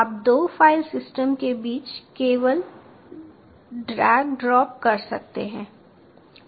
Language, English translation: Hindi, you can just drag drop between the two file systems